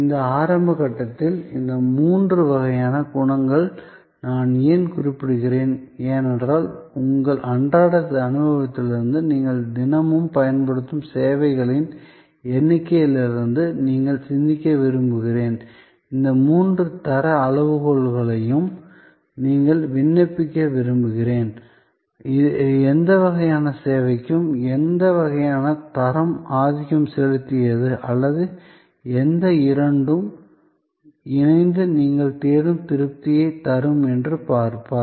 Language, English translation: Tamil, Why am I mentioning these three types of qualities at this early stage is because, I would like you to think about from your everyday experience, the number of services that you are daily using and I would like you to applying these three quality criteria and you will see that for what kind of service, which kind of quality was the dominant or which two combined to give you the satisfaction that you look for